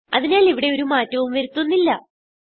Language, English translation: Malayalam, So there is no need to change anything here